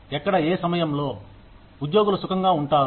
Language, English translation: Telugu, Where, at which point, would employees feel comfortable